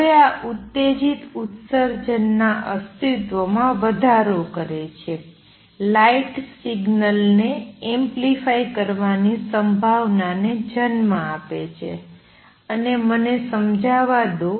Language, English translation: Gujarati, Now this gives raise to the existence of stimulated emission gives rise to possibility of amplifying a light signal, and let me explain